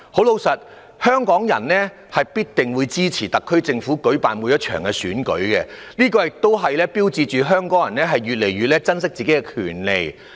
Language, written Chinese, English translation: Cantonese, 老實說，香港人必定支持特區政府舉辦的每一場選舉，這也標誌着香港人越來越珍惜自己的權利。, Hong Kong people always support the elections held by the SAR Government . Their strong support also indicates that Hong Kong people cherish their rights more than before